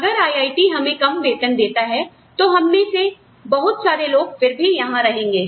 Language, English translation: Hindi, But, anyway, even if IIT paid us less salaries, many of us, would still stay here